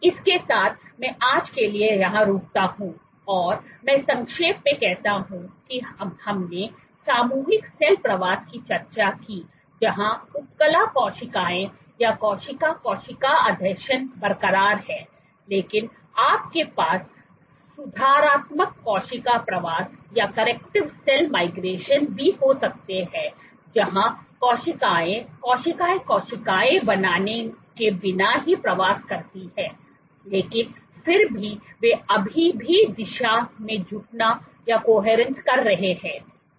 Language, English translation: Hindi, With that I stop here for today and I summarize that we discussed collective cell migration where with epithelial cells or cell cell adhesions are intact, but you can also have corrective cell migrations where cells migrate without forming cell cell adhesions, but they still they coherence in the direction